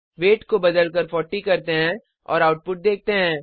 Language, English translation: Hindi, Let us change the weight to 40 and see the output